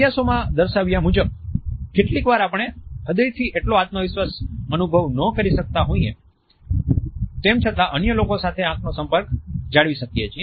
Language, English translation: Gujarati, Studies have also shown us that sometimes we may not feel very confident in our heart, but at the same time we are able to manage a strong eye contact with others